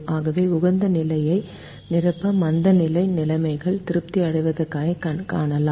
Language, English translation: Tamil, so we see that at the optimum the complementary slackness conditions are satisfied